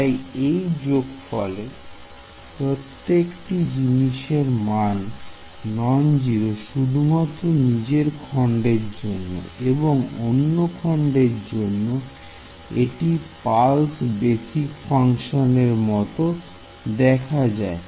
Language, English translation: Bengali, So, every term in this summation is non zero only in it is a own element it does not spill over into the other element right it is like pulse basis function